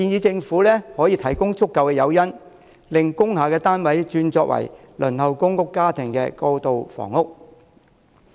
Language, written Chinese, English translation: Cantonese, 政府應提供足夠誘因，令工廈單位轉作輪候公屋家庭的過渡性房屋。, The Government should provide sufficient incentives for conversion of industrial buildings to transitional housing for households on the public housing waiting list